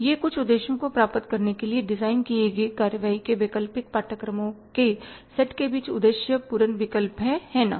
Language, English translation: Hindi, It is a purposeful choice among the set of alternative courses of action designed to achieve some objectives, right